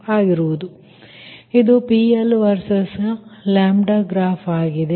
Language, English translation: Kannada, so this is your pl versus your lambda graph